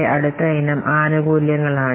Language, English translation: Malayalam, So the next content must be benefits